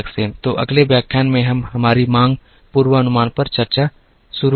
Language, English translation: Hindi, So, in the next lecture,we would start our discussion on demand forecasting